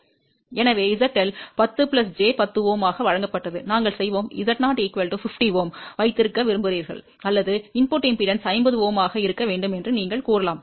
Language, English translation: Tamil, So, Z L was given as 10 plus j 10 Ohm and we would like to have Z 0 equal to 50 Ohm or you can say we want input impedance to be 50 Ohm